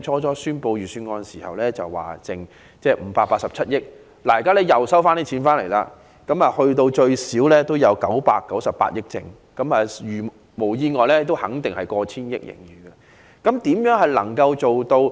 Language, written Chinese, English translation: Cantonese, 在宣布預算案時，財政司司長預計盈餘為587億元，現在政府收入較預期為多，盈餘最少有998億元，如無意外，盈餘甚至過千億元。, Despite his surplus forecast of 58.7 billion in the Budget the government revenue turns out to have exceeded his expectation . Barring any unforeseen circumstances the Government will have a surplus of at least 99.8 billion or even more than 100 billion